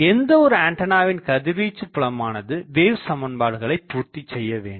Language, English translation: Tamil, Now we have seen that any antenna, the radiated field satisfies the wave equation